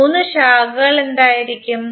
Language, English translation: Malayalam, What would be the three branches